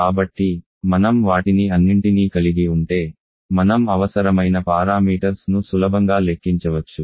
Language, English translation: Telugu, So once you have all of them then we can easily calculate the required parameters